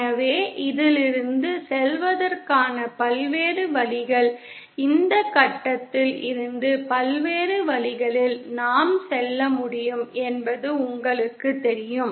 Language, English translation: Tamil, So the various ways for going from this you know we can go from this point to the origin in various ways